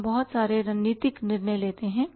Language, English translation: Hindi, We make a lot of strategic decisions